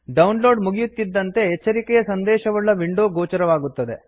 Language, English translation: Kannada, Once the download is complete, a warning message window appears